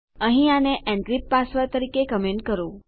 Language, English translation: Gujarati, Here comment this as encrypt password